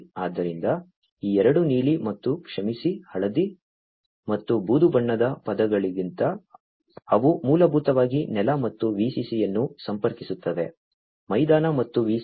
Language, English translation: Kannada, So, these two the blue and sorry the yellow, and the gray colored ones they are the ones, which basically connect the ground and the VCC; ground and the VCC